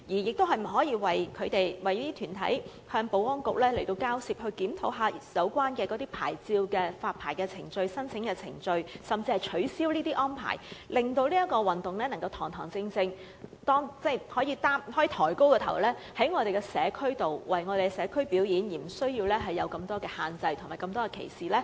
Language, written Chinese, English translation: Cantonese, 局長可否為這些團體與保安局交涉，檢討有關牌照的發牌程序、申請程序，甚至是取消有關條例下的限制，令這項運動能夠堂堂正正、抬起頭在社區內表演，而無須受到這麼多限制和歧視呢？, Can the Secretary negotiate with the Security Bureau on behalf of these organizations about the permit issuance procedures permit application procedures and even the abolition of such restrictions under the Ordinance so that they can raise our heads and practise such sports in an upright manner while the sports will no longer be put into the straitjacket with discrimination?